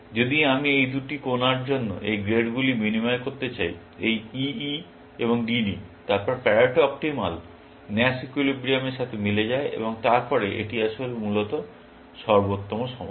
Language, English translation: Bengali, If I want to exchange these grades for these two corners, this E, E and D, D; then the Pareto Optimal coincide with the Nash equilibrium, and then, it is really the best solution, essentially